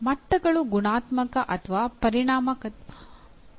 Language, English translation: Kannada, The standards may be either qualitative or quantitative